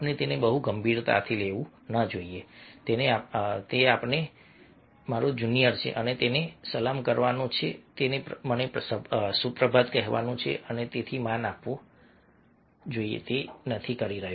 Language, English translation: Gujarati, so we should not take it very seriously that you see that he is my junior and he is supposed to salute me, he is supposed to say me good morning and so respect, and he is not doing so